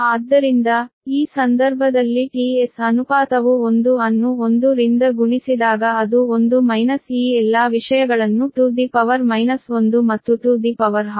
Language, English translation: Kannada, so in this case t s, it is ratio one into whatever it is, one minus all this things, to the power minus one and to the power half